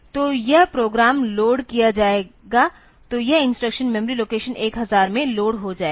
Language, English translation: Hindi, So, when the instruction the program will be loaded this instruction will be loaded into the memory location 1000